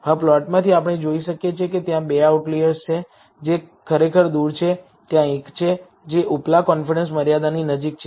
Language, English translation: Gujarati, Now, from the plot, we can see that there are two outliers, which are really farther, there is one, which is close to the upper confidence limit